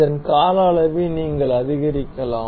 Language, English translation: Tamil, You can also increase the duration for this